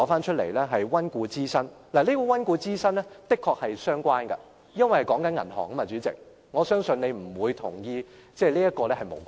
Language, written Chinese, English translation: Cantonese, 代理主席，這種溫故知新的確是相關的，因為說的是銀行，我相信你不會認為這是無關的......, Deputy President such a review is definitely relevant as we are now taking about banks . I trust you will not consider this irrelevant